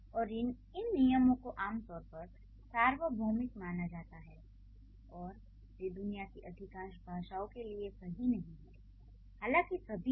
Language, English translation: Hindi, And these rules, they are generally considered as universals and they stand true for most of the world's languages if not all